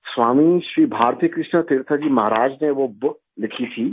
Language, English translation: Urdu, Swami Shri Bharatikrishna Tirtha Ji Maharaj had written that book